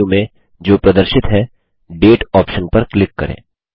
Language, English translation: Hindi, In the side menu which appears, click on the Date option